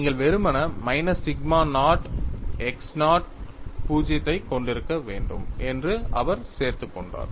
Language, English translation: Tamil, He simply added, you have to have minus sigma naught x 0 0